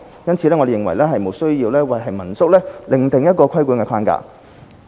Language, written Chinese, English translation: Cantonese, 因此，我們認為無須為民宿另訂規管框架。, We therefore think that it is unnecessary to have a separate regulatory framework for home - stay lodging